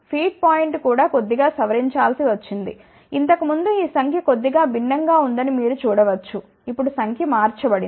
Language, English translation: Telugu, Even the feed point had to be modified slightly, you can see that earlier this number was slightly different; now the number has change